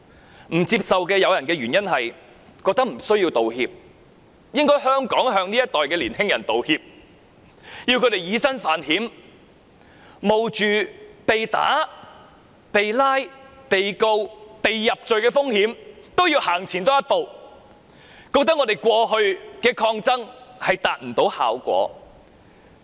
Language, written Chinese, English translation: Cantonese, 部分不接受道歉的人所持的理由是：年輕人無須道歉，反而香港應向這一代年輕人道歉，要他們以身犯險，冒着被打、被捕、被控告、被入罪的風險都要走前一步，覺得我們過去的抗爭未能達到效果。, For those who did not accept the apology their reason was that young people did not need to apologize; instead Hong Kong should apologize to young people of this generation . Owing to our failure to achieve any effects in our past struggles young people have to defy the law and bear the risks of being beaten prosecuted and convicted